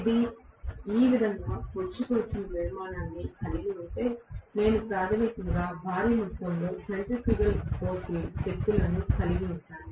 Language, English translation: Telugu, If it is having a protruding structure like this, I will have basically huge amount of centrifugal forces acting towards the ends